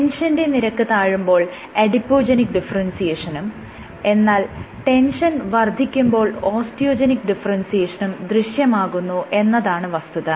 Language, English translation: Malayalam, So, with higher tension when you have low tension, you have adipogenic differentiation and you have high tension you have osteogenic differentiation